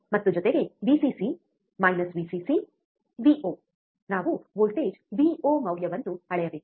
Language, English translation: Kannada, And plus, Vcc minus Vcc Vo, we have to value measure the value of voltage Vo